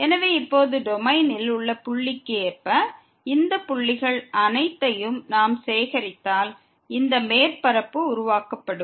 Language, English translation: Tamil, So, now if we collect all these points corresponding to the point in the domain, we this surface will be formed